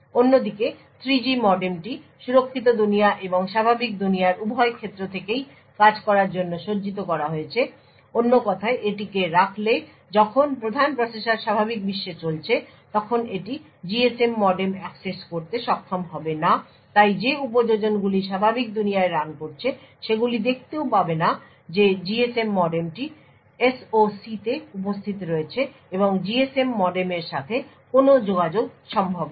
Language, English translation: Bengali, On the other hand the 3G modem is configured to work both from the secure world as well as the normal world putting this in other words when the main processor is running in the normal world it will not be able to access the GSM modem thus applications running in the normal world would not be able to even see that the GSM modem is present in the SOC and no communication to the GSM modem is possible